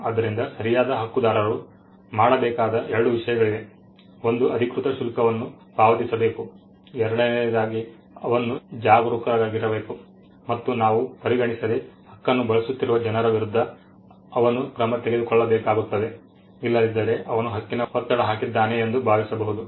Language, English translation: Kannada, So, there are 2 things the right holder needs to do 1 pay the official charges 2 he needs to be vigilant, and he needs to take action against people who are using the right without us consider, otherwise it could be assumed that he has given a pressure right